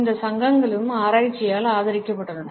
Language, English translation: Tamil, These associations have also been supported by research